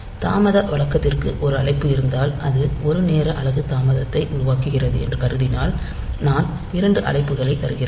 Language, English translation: Tamil, If there is a one call to the delay routine, so if I assume that it produces a delay of one time unit then I am giving two calls